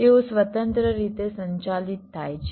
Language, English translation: Gujarati, they are handled independently